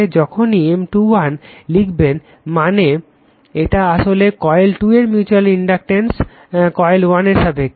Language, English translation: Bengali, And mutual inductance M 2 1 means 2 1 means coil 2 with respect to coil 1